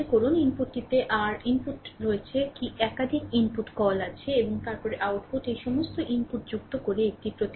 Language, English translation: Bengali, Suppose input you have your input you have what you call more than one input is there and then output you are getting a response, by adding all this input